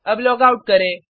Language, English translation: Hindi, Let us logout now